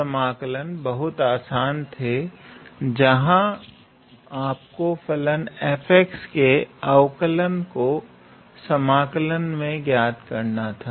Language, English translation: Hindi, So, those integrals were quite simple, where you had to find out the derivative of the function f x in the integral